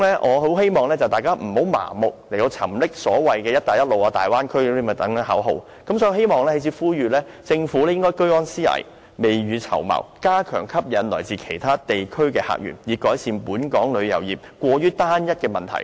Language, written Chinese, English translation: Cantonese, 我希望大家不要盲目沉溺在所謂"一帶一路"和大灣區等口號，我在此呼籲，政府應該居安思危，未雨綢繆，加強吸引來自其他地區的客源，以改善本港旅遊業過於單一的問題。, I hope we will not blindly indulge in such slogans as the Belt and Road and Bay Area . Here I call on the Government to remain vigilant in times of peace and take precautions for rainy days . It should step up its efforts to attract visitors from other regions to improve the excessive homogeneity of Hong Kongs tourism industry